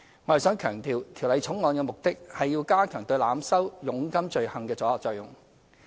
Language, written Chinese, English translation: Cantonese, 我想強調，《條例草案》的目的是要加強對濫收佣金罪行的阻嚇作用。, I wish to stress that the object of the Bill is to strengthen the deterrent effect against the offence of overcharging of commission